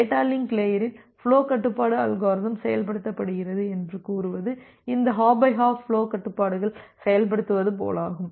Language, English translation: Tamil, Now whenever we are saying that the flow control algorithm is implemented at the data link layer, it is like that this hop by hop flow controls are implemented